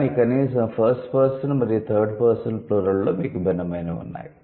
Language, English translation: Telugu, But at least in the first and the third person you have different